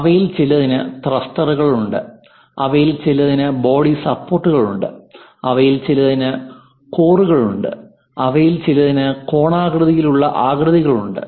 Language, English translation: Malayalam, Some of them having thrusters, some of them having body supports, some of them having cores, some of them having conical kind of shapes and so on so things